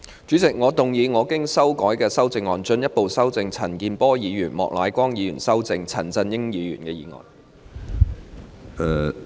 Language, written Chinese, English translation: Cantonese, 主席，我動議我經修改的修正案，進一步修正經陳健波議員及莫乃光議員修正的陳振英議員議案。, President I move that Mr CHAN Chun - yings motion as amended by Mr CHAN Kin - por and Mr Charles Peter MOK be further amended by my revised amendment